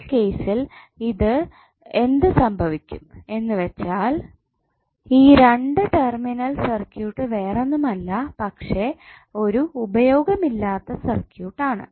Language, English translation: Malayalam, So in that case what will happen that this linear two terminal circuit would be nothing but a dead circuit because there is no source available